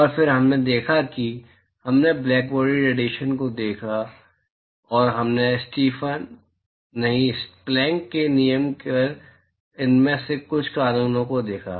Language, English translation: Hindi, And, then we looked at we looked at blackbody radiation and we looked at some of these laws on Stefan, no, Planck’s law